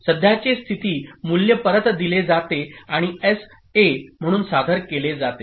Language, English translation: Marathi, So that A, the current state value is fed back, okay, and presented as SA